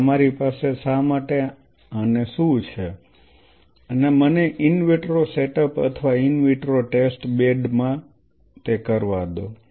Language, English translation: Gujarati, So, you have why what and let me in vitro set up or in vitro test bed